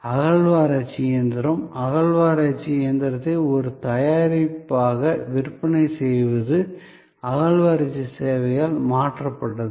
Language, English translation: Tamil, So, the sale of the excavation machine, excavator machine as a product was replaced by excavation service